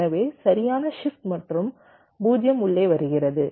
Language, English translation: Tamil, so right, shift and zero comes in, so it will remain, or zero